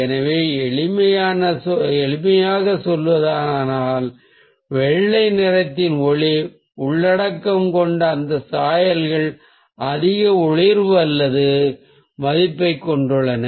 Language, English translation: Tamil, so to put it simply, those hues with light content of white have a higher luminance or value